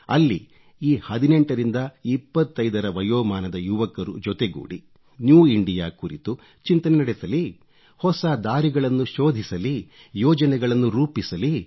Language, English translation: Kannada, Where the youth between 18 and 25 could sit together and brain storm about new India, find ways and chalk our plans